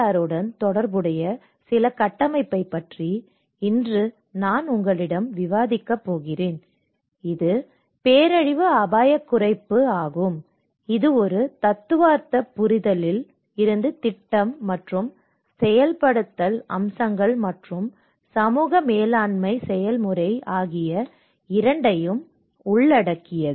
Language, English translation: Tamil, Today I am going to discuss with you about a few of the frameworks which are relevant to the DRR which is disaster risk reduction, and it covers both from a theoretical understanding to the project and the implementation aspects and also with the kind of community management process as well